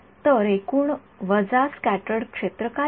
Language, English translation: Marathi, So, what is scattered field total minus